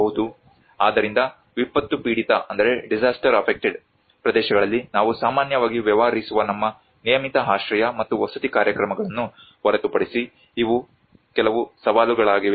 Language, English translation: Kannada, So these are some of the challenges apart from our regular shelter and housing programs which we deal with normally in the disaster affected areas